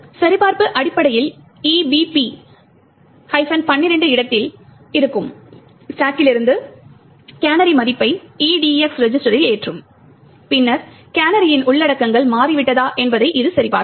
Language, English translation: Tamil, Now the check essentially would load the canary value from the stack that is at location EBP minus 12 into the EDX register and then it would check whether the contents of the canary has changed